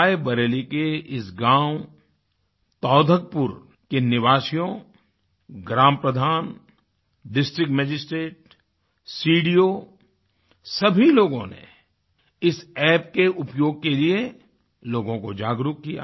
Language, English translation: Hindi, Residents of the village Taudhakpur in Rae Bareilly, village chief, District Magistrate, CDO and every one joined in to create awareness amongst the masses